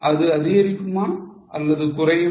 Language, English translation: Tamil, Will it go up or will it fall down